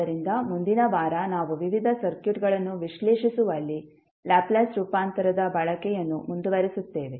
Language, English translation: Kannada, So, next week we will continue our utilization of Laplace transform in analyzing the various circuits